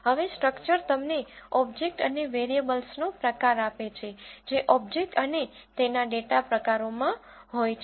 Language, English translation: Gujarati, Now, structure gives you type of the object and variables that are there in the object and their data types